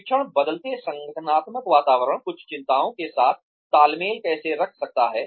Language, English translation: Hindi, How can training keep pace with the changing organizational environment, some concerns